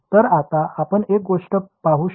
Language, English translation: Marathi, So, now, you can see one thing